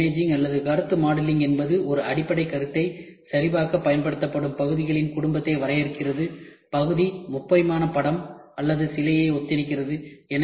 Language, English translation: Tamil, One is solid imaging or concept modelling defines a family of parts that are applied to verify a basic concept, the part resembles a three dimensional picture or a statue